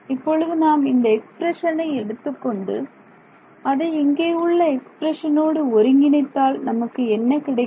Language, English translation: Tamil, So, now, if I take this expression and combine it with this over here, what do I get